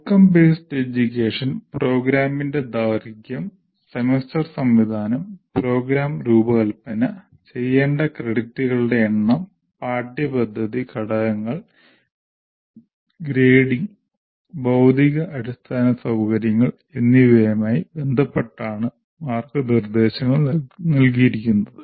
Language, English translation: Malayalam, Then the guidelines are given with respect to outcome based education, the duration of the program, the semester system, the number of credits that for which the program has to be designed, what we call curricular components, grading and physical infrastructure